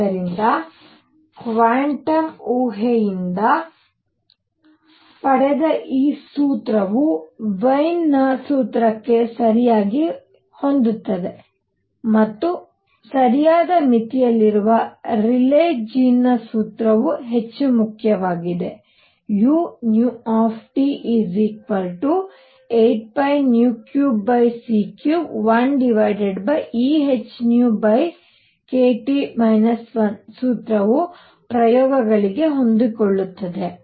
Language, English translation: Kannada, So, this formula derived by quantum hypothesis goes correctly to Wien’s formula and Rayleigh Jean’s formula in the right limits much more important, the formula u nu T equals 8 pi h nu cube over C cubed 1 over e raised to h nu over k T minus 1 fits the experiments